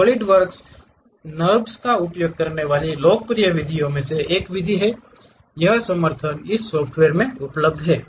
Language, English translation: Hindi, One of the popular method what Solidworks is using NURBS, this support is available